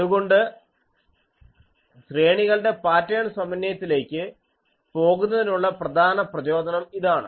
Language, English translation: Malayalam, So, this is the motivation for going to array pattern synthesis